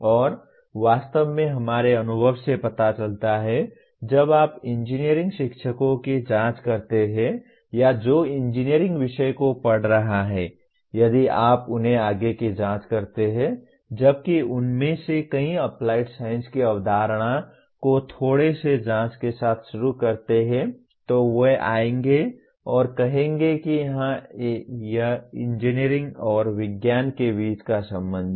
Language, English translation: Hindi, And actually our experience shows when you probe engineering teachers or those who are teaching engineering subjects, if you probe them further while many of them start with the concept of applied science with a little probing they will come and say yes this is what the relationship between engineering and science